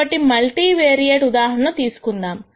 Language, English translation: Telugu, So, consider this multivariate example